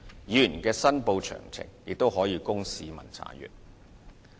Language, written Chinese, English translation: Cantonese, 議員的申報詳情亦可供市民查閱。, The details of members declarations are also accessible by members of the public